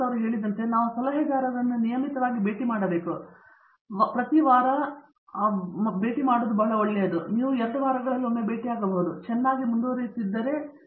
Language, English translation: Kannada, So, not only should we meet advisors very regularly as Ranga mentioned and every week is probably very good in the beginning and maybe it can become once in 2 weeks if let say you are progressing very well and you are doing very well